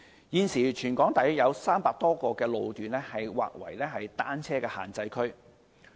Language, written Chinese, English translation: Cantonese, 現時，全港約有300多個路段劃為單車限制區。, Currently some 300 road sections are designated as bicycle prohibition zones across the territory